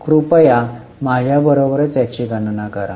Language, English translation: Marathi, So, please calculate it along with me